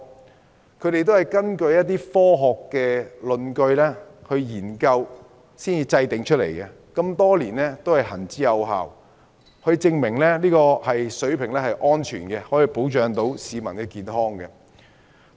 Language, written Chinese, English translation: Cantonese, 這個上限是他們根據科學論據和研究後訂定的，多年來一直行之有效，證明這個標準是安全的，可以保障市民健康。, This maximum level which was determined on basis of scientific justifications and researches has been proven throughout the years safe and adequate for the protection of public health